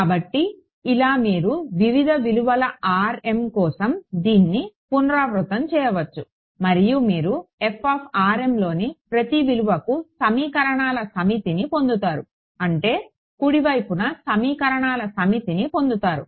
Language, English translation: Telugu, So, like this you can repeat it for various values of r m and you will get a set of equations for every f of r m on the right hand side you get a set of equations